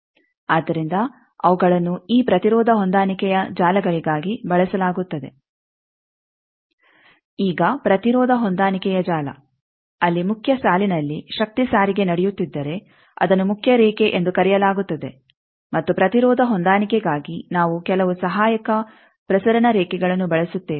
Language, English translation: Kannada, Now, the impedance matching network if there is a power transport going on in the main line that is called main line, and for impedance matching we use some auxiliary transmission lines